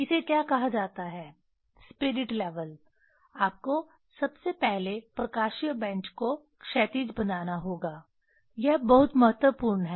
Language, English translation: Hindi, Putting this what is called, spirit level, you have to first you have to make the optical bench horizontal; that is very important